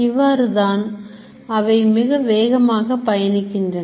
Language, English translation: Tamil, So, they travel very rapidly